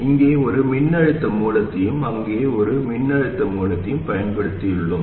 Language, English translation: Tamil, Here we have used a voltage source here and a voltage source there